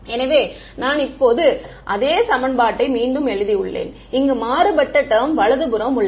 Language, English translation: Tamil, So, I have just rewritten that same equation now, I have the contrast term over here on the right hand side right